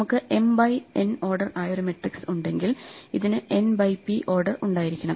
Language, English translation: Malayalam, If we have a matrix which is m by n then this must have n times p, so that we have a final answer which is m times p